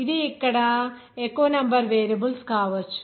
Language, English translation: Telugu, It may be more number of variables that will be there